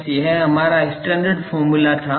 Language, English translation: Hindi, Simply, this was our standard formula